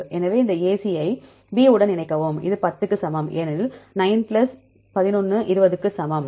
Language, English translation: Tamil, So, combine this AC with B right this is equal to 10 because 9 plus 11 equal to 20 right